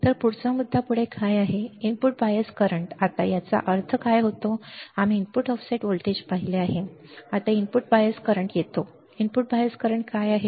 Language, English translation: Marathi, So, what is the next point next is input bias current now what does this mean we have seen input offset voltage now it comes input bias current what is input bias current